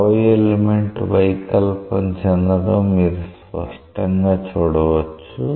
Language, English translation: Telugu, So, you can clearly see that the fluid element is deforming